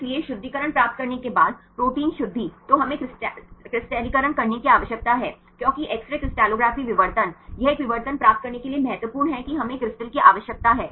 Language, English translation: Hindi, So, protein purification once we get the pure protein then we need to crystallize because the X ray crystallography diffraction; it is important in order to get a diffraction we need a crystal